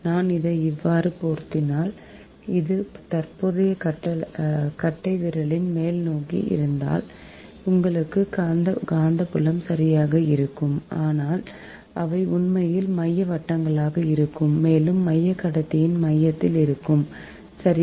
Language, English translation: Tamil, if i rapid, like this, and if this is the direction of the current, the term the upwards, then you have the magnetic field right, but they are concentric circles actually, and there centre will be at the centre of the conductor, right